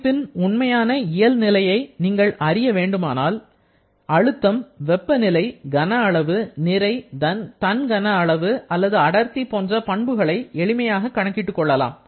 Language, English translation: Tamil, If we want to understand or identify exact physical state of our system, then you can easily calculate the pressure, temperature, volume, mass or using the value of volume and mass you can calculate specific volume or maybe density